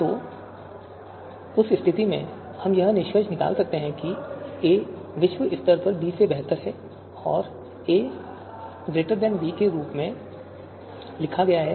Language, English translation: Hindi, So in that , in that case, we can deduce that a is globally better than b and written as a greater than b